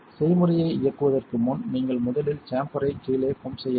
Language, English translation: Tamil, Before running the recipe, you must first pump down the chamber